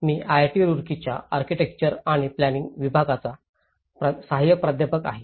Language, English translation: Marathi, I am an assistant professor from Department of Architecture and Planning, IIT Roorkee